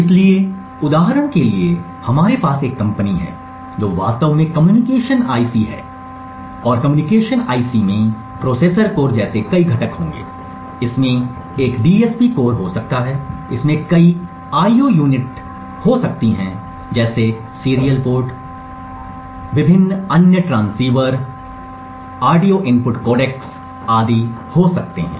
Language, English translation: Hindi, So for instance we have a company which wants to actually design say a communication IC and the communication IC would have several components like a processor core, it may have a DSP core, it may have several IO units like a serial port it, may have various other transceivers, it may have audio input codecs and so on